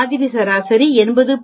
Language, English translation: Tamil, The sample mean is 80